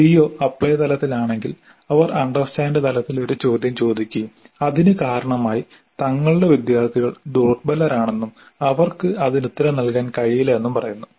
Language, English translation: Malayalam, If the CO is at apply level, they may ask a question at understand level and say that our students are weaker students so they will not be able to answer at the apply level